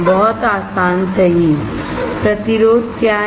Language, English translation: Hindi, Very easy right; what is resistance